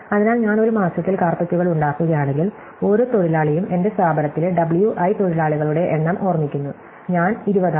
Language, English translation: Malayalam, So, if I make i carpets in a month, then each worker, remember W i is the number of workers in my establishment in month i, will make 20